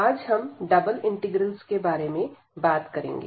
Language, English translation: Hindi, And today, we will be talking about Double Integrals